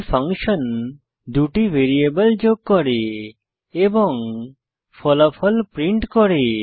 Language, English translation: Bengali, This function performs the addition of 2 variables and prints the answer